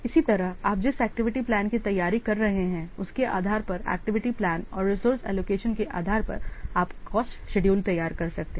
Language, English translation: Hindi, Similarly, based on the activity plan, you are preparing the, based on the activity plan and the resource allocation, you are preparing the cost schedule